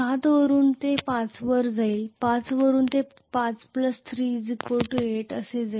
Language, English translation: Marathi, From 7 it will go back to 5 from 5 it will go like this 5 plus 3 is 8